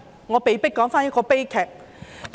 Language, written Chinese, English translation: Cantonese, 我被迫重提一宗悲劇。, I cannot but recap a tragedy